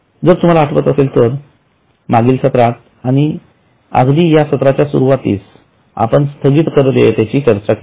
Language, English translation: Marathi, If you remember in the last session and even in the beginning of today's session we discussed about deferred tax liability